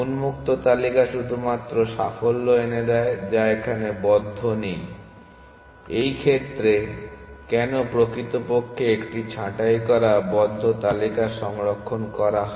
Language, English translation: Bengali, The open list allows only successes, which are not in the closed, in this case why actually storing a pruned, closed list